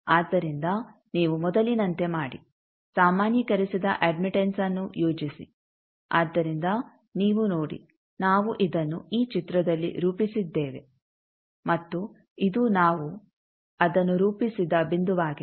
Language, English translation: Kannada, So, you do as before plot the normalized admittance, so you see that we have plotted it in this figure and this is the point where we have plotted it